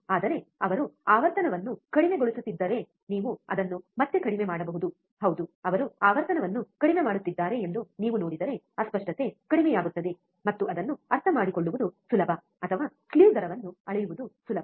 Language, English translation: Kannada, But if he goes on decreasing the frequency can you decrease it again, yeah, if you see that he is decreasing the frequency, the distortion becomes less, and it is easy to understand or easy to measure the slew rate